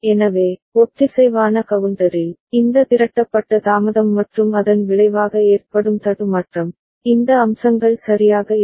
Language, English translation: Tamil, So, in the synchronous counter, this accumulated delay and resulting glitch, these aspects are not there ok